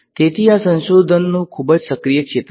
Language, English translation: Gujarati, So, this is a very active area of research